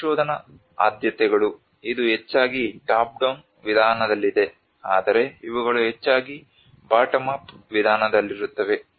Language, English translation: Kannada, The research preferences it is mostly on the top down approach, but these are the preferences which mostly on the bottom up approach